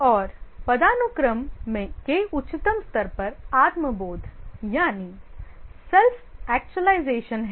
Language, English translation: Hindi, And at the highest level of the hierarchy are the self actualization, let's look at this